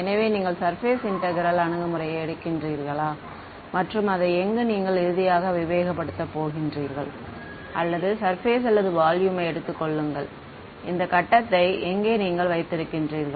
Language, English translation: Tamil, So, whether you take the surface integral approach where you have to discretize finely over here or so this was surface or you take the volume, where you have this grid over here right